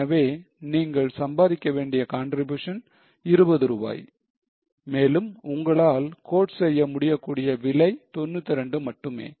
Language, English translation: Tamil, So, contribution which you are supposed to earn is 20 rupees and the price which you can quote is only 92